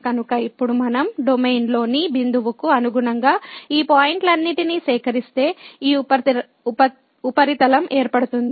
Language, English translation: Telugu, So, now if we collect all these points corresponding to the point in the domain, we this surface will be formed